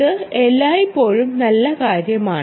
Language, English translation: Malayalam, this is always the nice thing